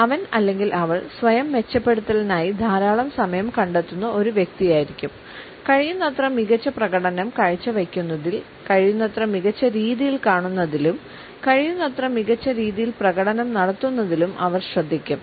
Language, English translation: Malayalam, He or she would be a person who has invested a lot of time in self improvement; in looking as better as possible in performing as better as possible, performing in as better a way as possible